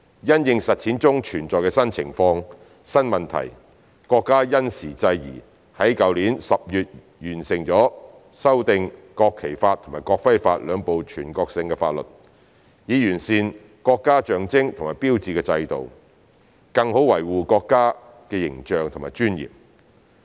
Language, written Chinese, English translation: Cantonese, 因應實踐中存在的新情況、新問題，國家因時制宜，在去年10月完成修訂《國旗法》及《國徽法》兩部全國性法律，以完善國家象徵和標誌的制度，更好維護國家的形象和尊嚴。, In response to the new situation and new problems found in the course of policy implementation our country adapted to evolving circumstances by completing the amendments to the two national laws ie . the National Flag Law and the National Emblem Law last October so as to improve the system of national symbols and hallmarks and better protect national image and dignity